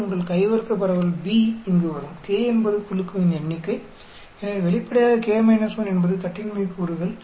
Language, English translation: Tamil, And your chi square distribution b will come here, k is the number of group so obviously k minus 1 is a degrees of freedom